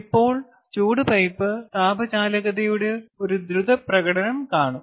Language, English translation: Malayalam, now go through a quick demonstration on heat pipe thermal conductivity